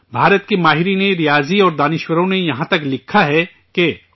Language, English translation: Urdu, Mathematicians and scholars of India have even written that